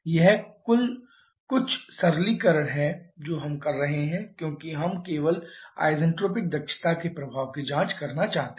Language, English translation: Hindi, This is some simplification we are doing because we are just looking to check out the effect of the isentropic efficiencies only